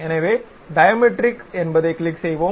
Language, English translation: Tamil, So, let us click Diametric